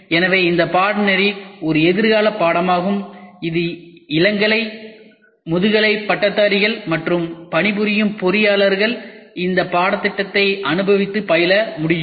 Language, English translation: Tamil, So, this course is a futuristic course it is open for undergraduates and postgraduates practicing engineers can also enjoy this course